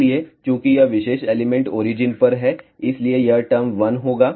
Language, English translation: Hindi, So, since this particular element is at origin the term corresponding to that will be 1